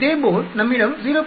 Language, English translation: Tamil, Similarly, we can have for 0